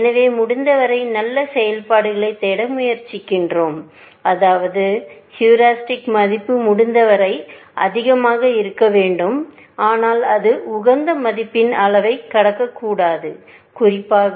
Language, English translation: Tamil, So, we try to look for as good functions as possible, which means, that the heuristic value must be as high as possible, but it should not cross the level of the optimal value, especially